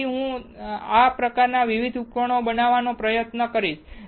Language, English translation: Gujarati, So, I will try to show you more of these kind of devices